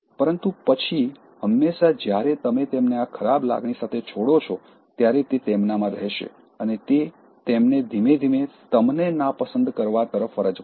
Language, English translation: Gujarati, But then, always when you leave them with this bad feeling, that will remain in them and that will slowly make them dislike you